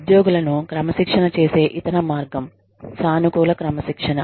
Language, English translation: Telugu, Then, the other way of disciplining employees is, positive discipline